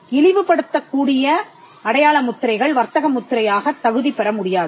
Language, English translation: Tamil, Marks that are disparaging cannot qualify as a trademark